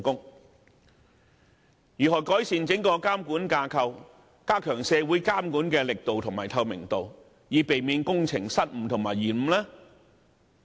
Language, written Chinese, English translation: Cantonese, 有關方面應如何改善整個監管架構及加強社會監管的力度和透明度，從而避免工程的失誤和延誤？, How can the authorities improve the entire monitoring structure and enhance the effectiveness and transparency of monitoring by society thereby minimizing the chance of errors or delays?